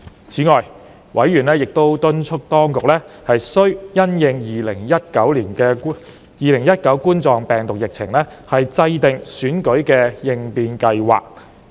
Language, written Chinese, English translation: Cantonese, 此外，委員亦敦促當局須因應2019冠狀病毒病的疫情，制訂選舉應變計劃。, Besides members urged that the authorities must formulate an election contingency plan having regard to the outbreak of the coronavirus disease 2019